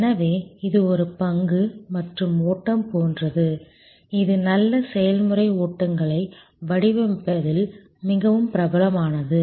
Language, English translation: Tamil, So, this is like a stock and flow, which is very popular in designing good process flows